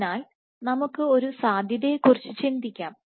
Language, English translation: Malayalam, So, let us think of a possibility